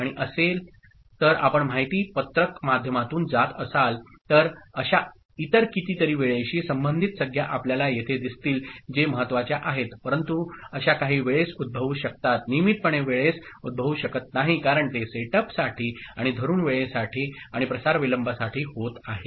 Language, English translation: Marathi, And if you go through the data sheet, you will see many other such you know, terms are there timing related which are important ok, but that may occur in certain instances of time not regularly as it is happening for the setup and hold time and propagation delay